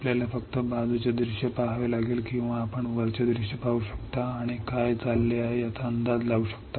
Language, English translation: Marathi, You have to just see the side view or you can see the top view and guess what is going on